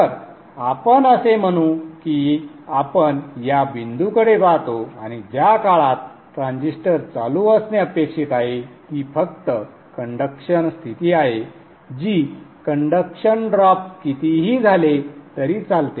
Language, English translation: Marathi, So let us say we look at this point and during the time when the transistor is supposed to be on, it is just the conduction state, this is also conduction, whatever the conduction drop